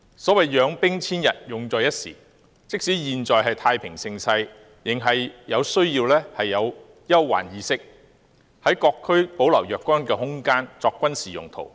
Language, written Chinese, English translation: Cantonese, 所謂養兵千日，用在一時，即使現在是太平盛世，也需要具備憂患意識，在各區保留若干空間作軍事用途。, As the saying goes Armies are maintained for a thousand days to be used for one time . Even in peaceful and prosperous times now we ought to stay viligant for distress and disaster and maintain certain space in various districts for military use